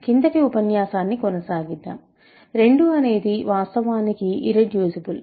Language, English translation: Telugu, So, let us continue now, 2 is actually irreducible